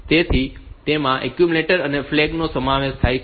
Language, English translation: Gujarati, So, that includes the accumulator and the flag